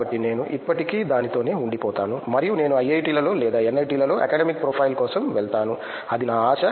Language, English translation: Telugu, So, I still go stick with that, and I will go for an academic profile either in IITs or NITs that’s what my hope so